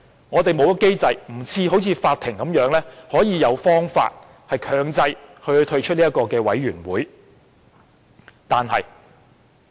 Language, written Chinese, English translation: Cantonese, 我們沒有機制，不像法庭般有方法強制他退出專責委員會。, Unlike the court no mechanism has been put in place to compel him to withdraw from the Select Committee